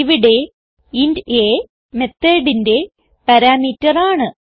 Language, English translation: Malayalam, Here we are giving int a as a parameter to our method